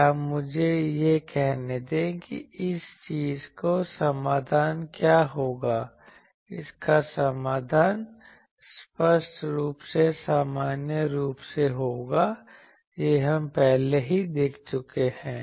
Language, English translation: Hindi, Or, let me say that what will be the solution of this thing its solution will be obviously in general, this we have already seen earlier